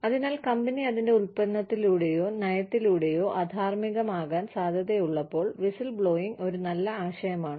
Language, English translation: Malayalam, So, whistleblowing is a good idea, when the firm through its product or policy, is likely to